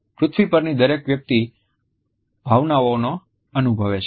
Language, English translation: Gujarati, Every person on the planet feels emotions